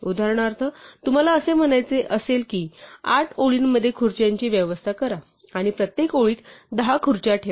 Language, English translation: Marathi, For instance, you might want to say that arrange the chairs in the 8 rows and put 10 chairs in each row